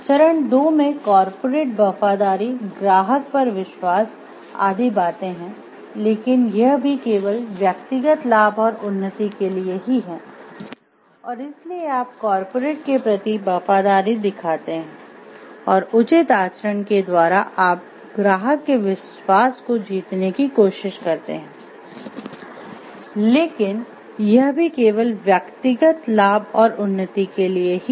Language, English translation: Hindi, Stage 2 corporate loyalty client confidence proper conductor pursuit, but again only for the personal gain and advancement, so you exhibit corporate loyalty and you try to gain on client confidence and proper conduct all these you do, but again the it is only interest for personal gain and advancement